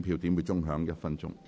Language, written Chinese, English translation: Cantonese, 表決鐘會響1分鐘。, The division bell will ring for one minute